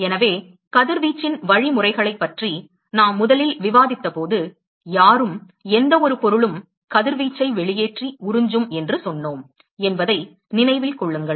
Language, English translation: Tamil, So, remember that, when we first discussed the mechanisms of radiation, we said that, anybody, any form of matter is going to emit and absorb radiation